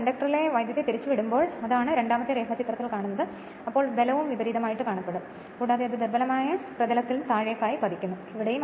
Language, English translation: Malayalam, When the current in the conductor is reversed that is the second diagram right the force is also reverse and it is your what you call force is acting on the downwards that is weaker field this side and here also right